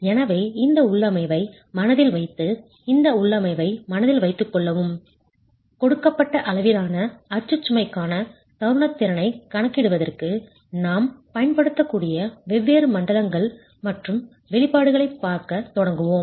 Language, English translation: Tamil, Okay, so with this configuration in mind, please do keep this configuration in mind, we'll start looking at different zones and the expressions that we can use for the calculations of the moment capacity for a given level of axial load itself